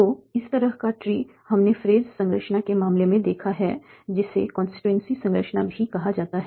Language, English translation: Hindi, So this kind of tree we have seen in the case of phrase structure, also called the constituency structure